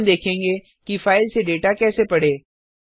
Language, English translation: Hindi, Now we will see how to read data from a file